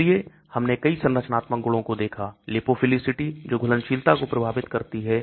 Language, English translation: Hindi, So we looked at many structural properties, lipophilicity which affects solubility